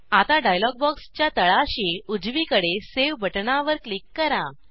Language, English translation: Marathi, Now, click on the Save button at the bottom right of the dialog box